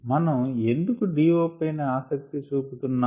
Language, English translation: Telugu, that's why we are interested